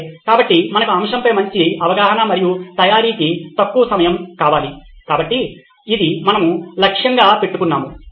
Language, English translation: Telugu, Okay, so we want better understanding of the topic and less time for preparation, so this is what we are aiming for